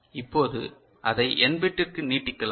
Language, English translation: Tamil, Now, we can extend it for n bit right